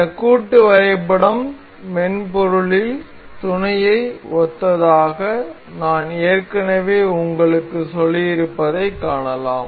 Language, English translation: Tamil, And we can see I have already told you this assembly is synonymous to mate in the software